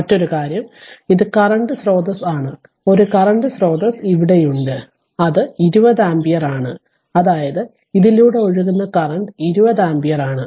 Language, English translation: Malayalam, And an another thing is that this is current source is here one current source is here, and it is 20 ampere; that means, current flowing through this is 20 ampere